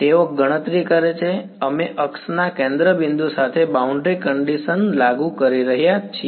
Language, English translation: Gujarati, They calculating; we are enforcing the boundary conditional along the centre point of the axis